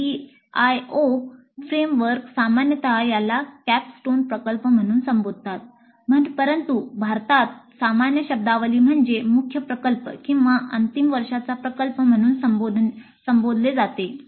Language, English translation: Marathi, The CDIO framework generally calls this as a capstone project, but in India the more common terminology is to simply call it as the main project or final year project